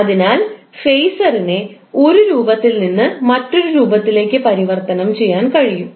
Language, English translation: Malayalam, So it is possible to convert the phaser form one form to other form